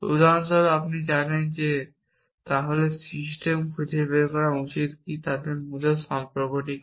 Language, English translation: Bengali, For example, you know then the system should find whether what is the relation between them